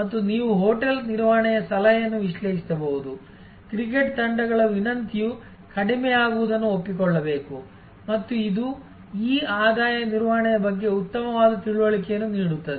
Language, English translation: Kannada, And you can, then analyze an advice the hotel management with the, should accept the cricket teams request should decline and that will give you much better understanding of what this revenue management this all about